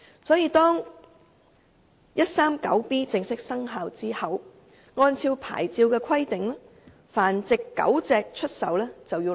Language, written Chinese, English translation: Cantonese, 因此，在第 139B 章正式生效後，按照發牌規定，出售繁殖狗隻必須申領牌照。, Therefore after Cap . 139B comes into operation a person who sells dogs for breeding must obtain a licence according to the licensing requirements